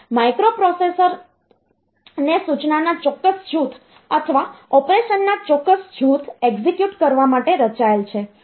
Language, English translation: Gujarati, So, each microprocessor is designed to execute, a specific group of instruction a specific group of operation